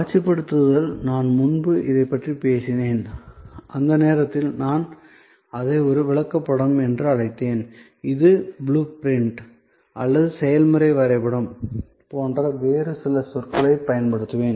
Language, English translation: Tamil, The visualization I talked about it earlier, at that time I called it a flow chart, I will now use some other terminologies in this connection like terminology blue print or process map